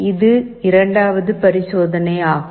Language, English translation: Tamil, This is our second experiment